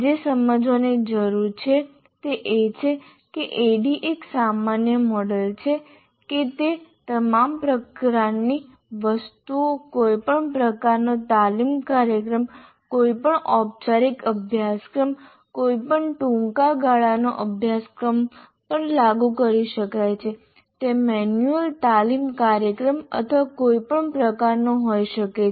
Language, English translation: Gujarati, So what needs to be understood is the ADD is such a generic model, it is applied to all types of things, any type of training program, any formal course, any short term course, it could be manual training program or on any subject, short term, long term, anything it can be applied